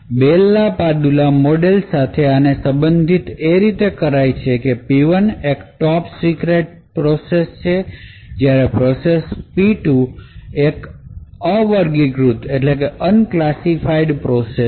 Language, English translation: Gujarati, So, relating this to the Bell la Padula model that we have studied process P1 may be a top secret process while process P2 may be an unclassified process